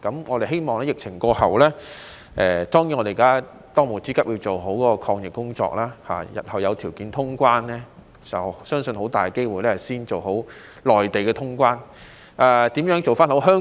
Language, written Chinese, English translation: Cantonese, 我們希望疫情過後——當務之急當然是要做好抗疫工作——日後若有條件通關，相信很大機會是要先做好與內地的通關工作。, We hope that in the future if there are conditions to resume cross - border travel after the epidemic―now the most pressing task is certainly to do well in our fight against the epidemic―I presume that we should first work on the resumption of travel with the Mainland and leave nothing to chance